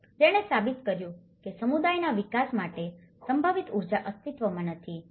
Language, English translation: Gujarati, Although, which proves that the potential energy for developing the community does exist